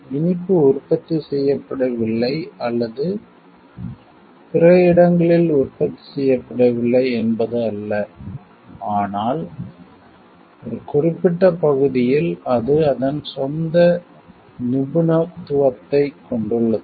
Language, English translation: Tamil, It is not that the sweet is not being done or it is not produced in other locations, but in a particular area it has it is own expertise